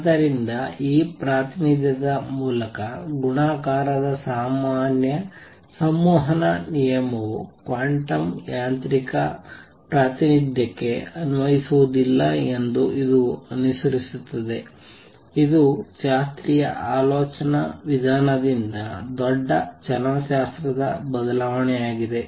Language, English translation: Kannada, So, by this representation it also follows that the normal commutative rule of multiplication does not apply to quantum mechanical representation this is a big kinematic change from the classical way of thinking that